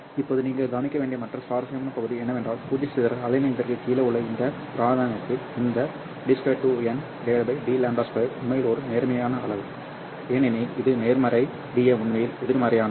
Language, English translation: Tamil, Now, the other interesting part that you have to observe here is that in this region, that is below zero dispersion wavelength, this D square n by D lambda square is actually a positive quantity